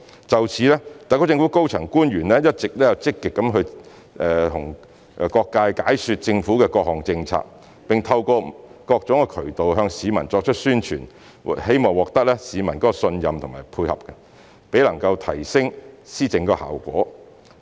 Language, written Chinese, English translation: Cantonese, 就此，特區政府高層官員一直積極向各界解說政府的各項政策，並透過各種渠道向市民作出宣傳，希望獲得市民的信任和配合，提升施政效果。, In this connection the senior officials of the SAR Government have been actively explaining government policies to various sectors and stepping up publicity efforts targeting the public through various channels in a bid to win their trust and cooperation and enhance the effectiveness of policy implementation